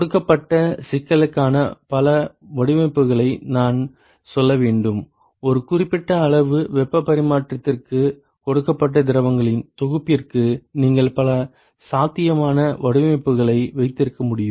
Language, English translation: Tamil, I should rather say several designs for a given problem, for a given amount of heat exchange, for a given set of fluids you can have several possible designs